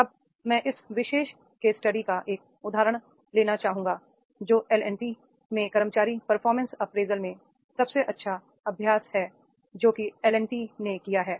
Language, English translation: Hindi, Now I would like to take an example of this particular case study that is the best practices in employee performance appraisal at the LNT